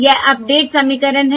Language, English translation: Hindi, okay, This is the update equation